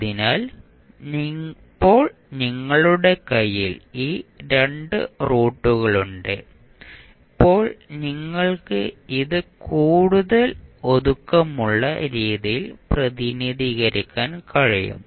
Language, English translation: Malayalam, So, now you have these 2 roots in your hand then you can represent it in a more compact manner